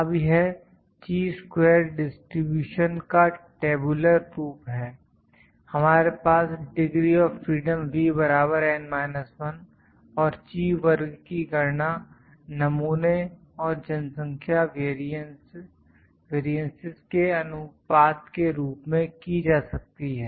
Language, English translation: Hindi, Now, this is the distribution of Chi square in a tabular form, we have degrees of freedom V is equal to N minus 1, and Chi square can be calculated as a ratio of the sample and the population variances